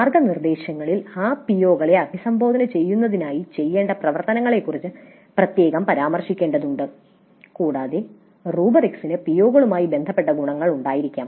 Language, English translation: Malayalam, The guidelines must specifically mention the activities to be carried out in order to address those POs and the rubrics must have attributes related to those POs